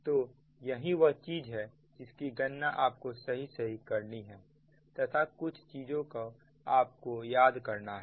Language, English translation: Hindi, so this is that only thing is that you have to compute thing correctly and you have to remember certain things